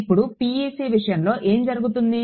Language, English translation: Telugu, So, what is the PEC